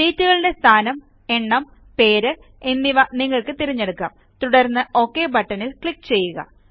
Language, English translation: Malayalam, You can choose the position, number of sheets and the name and then click on the OK button